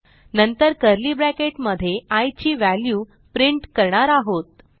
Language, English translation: Marathi, Then, in curly bracket we print the value of i Now, let us see the output